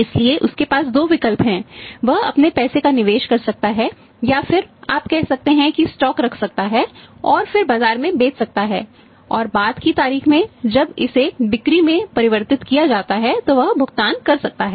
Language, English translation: Hindi, So, he has two options strategy can invest his own money and then you can invest his own money and then you can say keep the stock and then sell in the market and at the later date when it is converted into sales that he can pay the make the payment